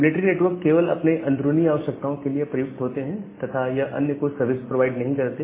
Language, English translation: Hindi, The military network is just used for their internal use and they doesn’t provide services to any other